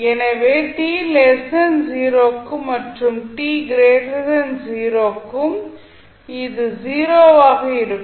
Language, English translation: Tamil, So, for t less than 0 and t greater than 0 it will be 0